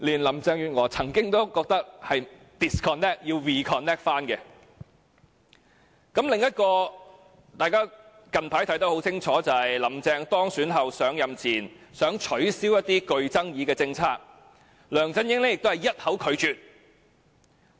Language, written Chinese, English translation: Cantonese, 另外，一宗近期發生的事件，也可以讓大家清楚明白"香港營"的失敗，便是"林鄭"當選後，提出在上任前取消一些具爭議的政策，梁振英均一口拒絕。, Also a recent incident can also shed some light on the failure of the Hong Kong Camp that is after Carrie LAM was elected her proposals for abolition of some controversial policies before she assumes office were met with LEUNG Chun - yings resolute refusals